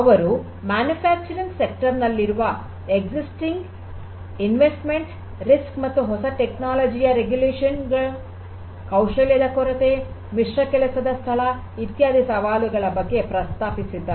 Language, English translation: Kannada, So, the challenges that they have addressed are that there is existing investment, risk and regulation of new technology, lack of skill, mixed workplace, and so on